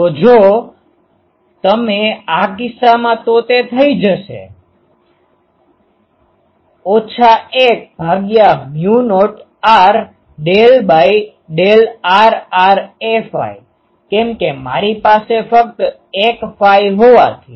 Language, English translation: Gujarati, So, if you do that in this case it will be minus 1 by mu naught r del; del r r since I have only a phi